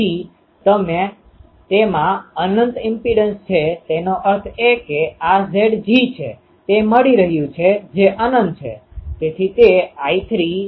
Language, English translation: Gujarati, So, it is having an infinite impedance; that means, this Z g it is um giving that is infinite